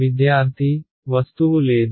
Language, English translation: Telugu, There is no object